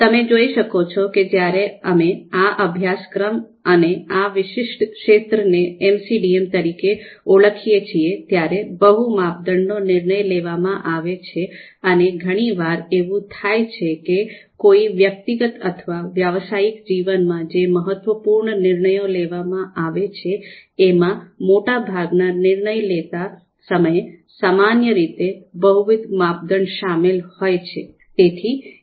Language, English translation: Gujarati, Now here itself you can see that when we call you know this particular course and this particular area as MCDM, multi criteria decision making, here you would see you know you would often feel that most of the decision making, the important key decision makings that one has to perform in personal or professional lives you know they typically involve multiple criteria